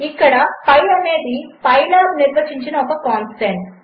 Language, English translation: Telugu, Here pi is a constant defined by pylab